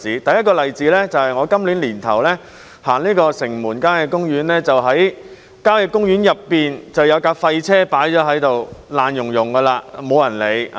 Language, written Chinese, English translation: Cantonese, 第一個例子是，我今年年初到城門郊野公園時，看到公園內有輛廢棄車輛，破爛不堪，沒人處理。, The first case concerns an abandoned vehicle I saw in the Shing Mun Country Park when I visited it early this year . The vehicle was dilapidated and no one would dispose of it